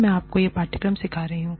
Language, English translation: Hindi, I have been teaching you, this course